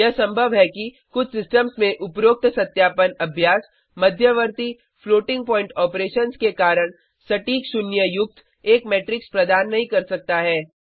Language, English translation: Hindi, It is possible that in some systems the above verification exercise may not yield a matrix with exact zeros as its elements due to intermediate floating point operations